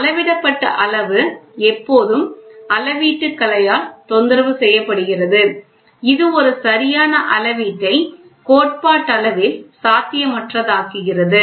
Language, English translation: Tamil, The measured quantity is always disturbed by the art of measurement, which makes a perfect measurement theoretically impossible